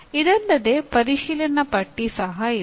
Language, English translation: Kannada, In addition, there is also a checklist